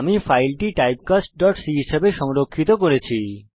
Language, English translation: Bengali, I have saved my file as typecast.c